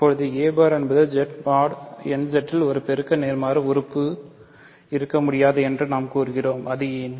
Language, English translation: Tamil, Now, we claim that a bar cannot have a multiplicative inverse in Z mod nZ why is that